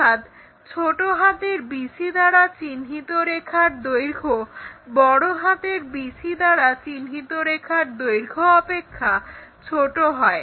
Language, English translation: Bengali, So, bc, lower case letter bc is smaller than upper case letter BC length